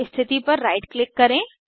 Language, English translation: Hindi, Right click on the position